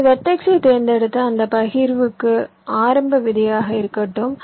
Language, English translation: Tamil, ok, you select that vertex and let that vertex be my initial seed for that partition